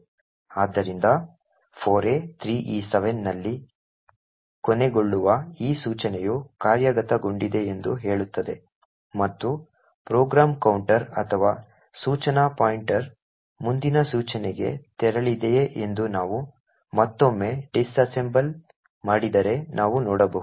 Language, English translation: Kannada, So it says that this instruction which ends in 4a3e7 has executed and we could also see if we disassemble again that the program counter or the instruction pointer has moved to the next instruction